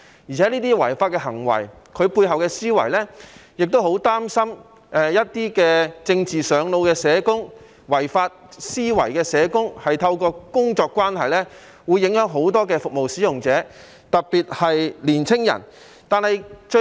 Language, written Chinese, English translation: Cantonese, 而且，這些違法行為涉及背後的思維，我亦很擔心一些"政治上腦"的社工、抱持違法思維的社工，會透過工作關係影響很多服務使用者，特別是青年人。, Moreover these illegal acts reflect the thinking behind . I am worried that certain social workers who are carried away by politics and hold unlawful thinking may influence many service users particularly young people through their work